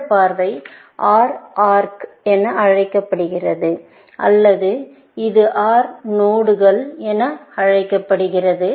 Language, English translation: Tamil, This view is called an OR arc, or this, would be called as an OR node